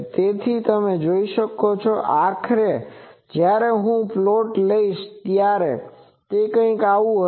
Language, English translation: Gujarati, So, you see that finally, when I take this plot, it will be something like this